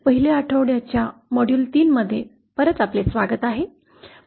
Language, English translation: Marathi, Welcome back to module 3 of the 1st week